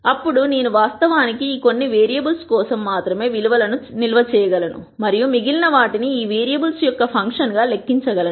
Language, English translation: Telugu, Then it means that actually I can store values for only these few variables and calculate the remaining as a function of these variables